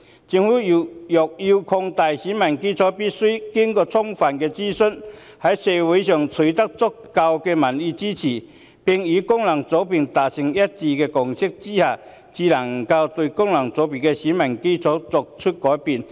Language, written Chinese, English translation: Cantonese, 政府若要擴大選民基礎，必須先經過充分諮詢，在社會上取得足夠民意支持，並與各功能界別達成一致共識之下，才能改變功能界別的選民基礎。, If the Government intends to expand the electorate it must conduct thorough consultations secure sufficient public support in society and reach a consensus with various FCs before it can make changes to the electorate of FCs